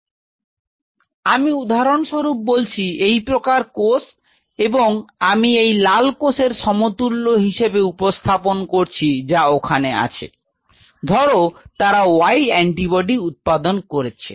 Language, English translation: Bengali, So, I say for example, these cell type and the I am representing the analog of this these red cell types which are there, they produced antibody say you know y